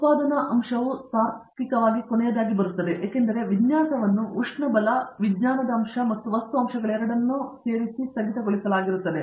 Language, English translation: Kannada, The manufacturing aspect logically comes last because, having frozen the design both the thermodynamic aspect as well as the materials aspect